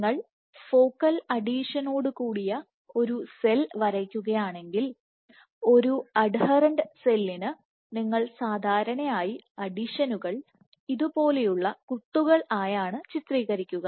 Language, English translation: Malayalam, So, if you draw of cell with the focal adhesion, for an adherent and cell, you would draw it typically by depicting these adhesions like these dots